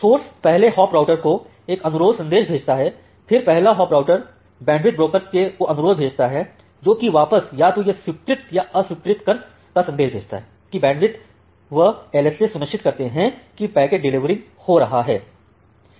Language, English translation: Hindi, The source sends a request message to the first hop router, then the first hop router sends the request to the bandwidth broker, which send backs either accept or reject based on whether the bandwidth can be whether the SLA can be ensured, in delivering the packet